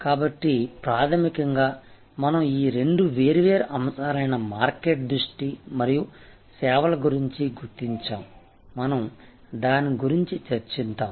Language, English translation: Telugu, So, fundamentally we therefore, identify these two different market focused and service focused, we have discussed that